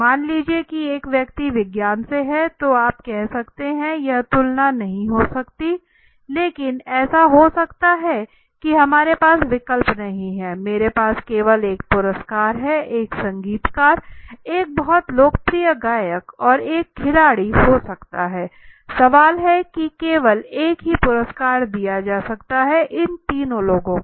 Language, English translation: Hindi, Let say one person is from science right now you can say this might not to be a comparison but so be it we have only we do not have option I have only one award there is a musician right a very popular a singer may be from a field of a and a sports person sports man right now the question is only one award can be given out of the among these three people